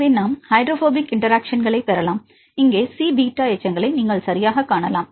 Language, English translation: Tamil, So, we can get the hydrophobic interactions, see here you can see the C beta residues right because C alpha is the main chain